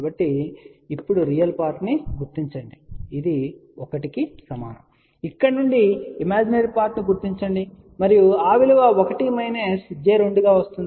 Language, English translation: Telugu, So now, read first real part which is equal to 1, imaginary part you can read from here this particular thing and that value comes out to be 1 minus j 2